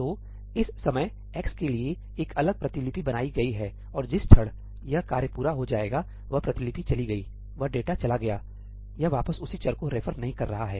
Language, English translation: Hindi, So, at this point of time, for x, a separate copy has been created and the moment this task gets completed, that copy is gone, that data is gone, it is not referring back to the same variable